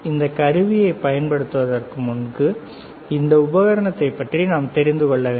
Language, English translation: Tamil, And before we use this equipment we should know about this equipment